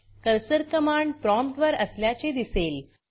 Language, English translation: Marathi, Notice that the cursor is on the command prompt